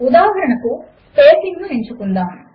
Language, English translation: Telugu, For example, let us choose spacing